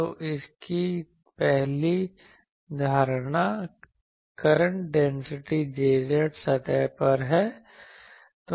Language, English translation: Hindi, So, the first assumption of this is the current density J z is on surface